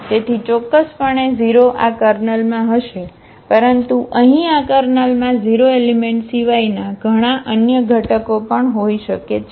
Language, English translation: Gujarati, So, definitely the 0 will be there in this kernel, but there can be many other elements than the 0 elements in this kernel here